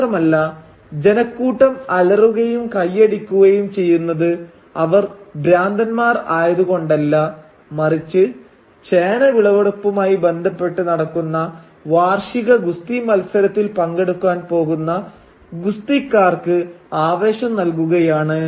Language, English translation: Malayalam, And the crowds are roaring and clapping not as mad people but rather they are cheering the wrestlers who are about to participate in the annual wrestling match which again is associated with the yam harvest